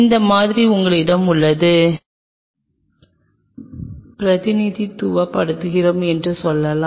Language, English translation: Tamil, And this is where you have the sample and this distance this distance let us say I just represent by l